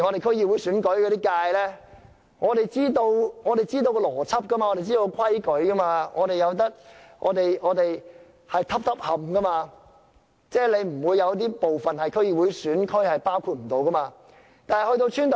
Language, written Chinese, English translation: Cantonese, 區議會選舉的劃界我們固然知道其邏輯，知道當中的準則，選區是一個接一個的，即不會有一些部分是區議會選區沒有包括的。, With regard to the demarcation of constituencies for the DC elections we certainly understand its logic and criteria . The constituencies are demarcated to be next to each other which means that no places or areas are uncovered by DC constituencies